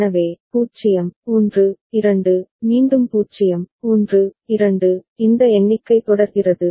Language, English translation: Tamil, So, 0, 1, 2, again 0, 1, 2, this is way the count goes on